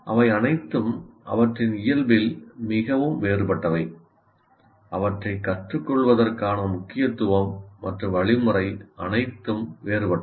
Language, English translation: Tamil, They're all very, very different in their nature, the emphasis and the way to learn, they're all different